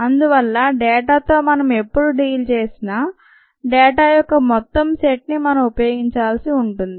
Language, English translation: Telugu, therefore, whenever we deal with data, we need to use a entire set of data